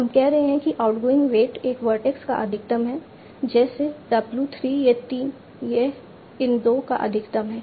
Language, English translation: Hindi, are saying the outgoing weight is max of so to a vertex like w 3 it is a max of